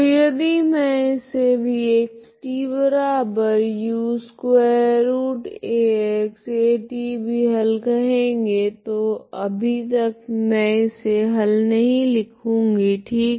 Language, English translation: Hindi, So if I call this as v of xt is also a solution so far I am not writing as this solution never, right